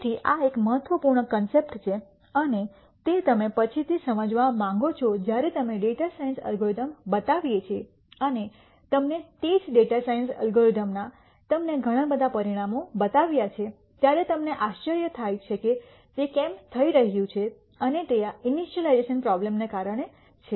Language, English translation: Gujarati, So, this is an important concept and that you want to understand later when we show you data science algorithms and show you several runs of the same data science algorithm you get several results you might wonder why that is happening and that is due to this problem of initialization